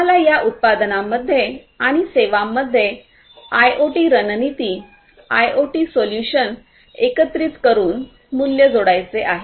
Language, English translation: Marathi, We want to add value by integrating IoT strategies, IoT solutions to these products and services